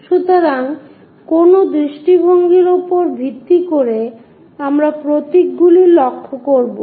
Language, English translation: Bengali, So, based on which view we will note the symbols